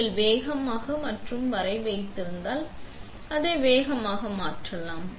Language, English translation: Tamil, If you hold fast and up, you can change it faster